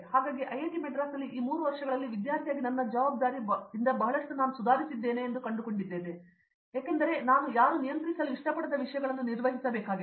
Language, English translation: Kannada, So, during this 3 years at IIT Madras, I found that my responsibility as a student, as a may be as an individual improved a lot because I had to handle so much of things which nobody else was like controlling